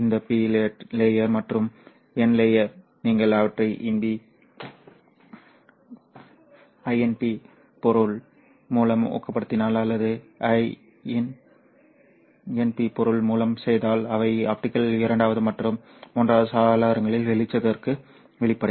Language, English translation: Tamil, This P layer and the N plus layer, if you dope them with in P material or make them with in P material, they will become transparent to the light in the optical second and third windows